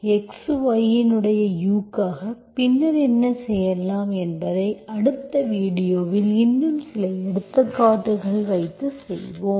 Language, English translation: Tamil, You have got for the u of x, y, so that will give you, so we will do examples, some more examples in the next video